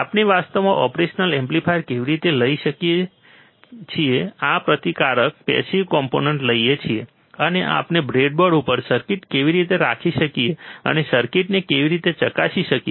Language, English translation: Gujarati, How can we actually take a operational amplifier take this resistors passive components, and how exactly we can we can place the circuit on the breadboard, and how we can check the circuit